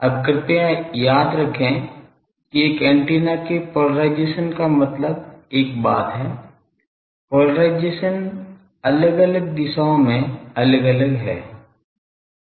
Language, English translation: Hindi, Now, please remember that polarisation of an antenna means that one thing is polarisation is different in different directions